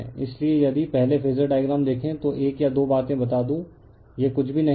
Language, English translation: Hindi, So, if you see the phasor diagram first one or two things let me tell you, this is nothing, this is nothing